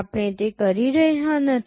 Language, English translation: Gujarati, We are not doing that